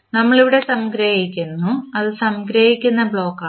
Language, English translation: Malayalam, And we are summing up here that is summing block